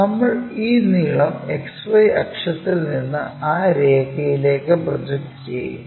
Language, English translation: Malayalam, So, this length from XY axis to be that line we will project it from X 1 axis here to b 1